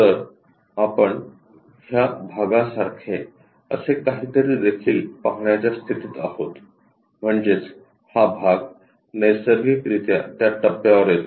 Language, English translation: Marathi, So, there is something like this part also will be in a position to see; that means, this part naturally comes at that stage in that way